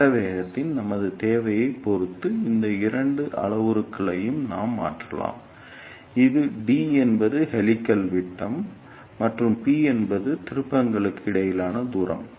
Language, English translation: Tamil, And depending upon our requirement of phase velocity, we can change these two parameters that is d is diameter of the helix, and p is the distance between the turns